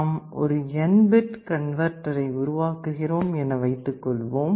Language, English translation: Tamil, Let us have an estimate, suppose we want to design an n bit A/D converter